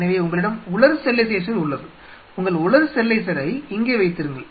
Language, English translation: Tamil, So, you have the dry sterilizer sitting out there; see you keep your dry sterilizer there